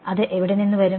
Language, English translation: Malayalam, Where will it come from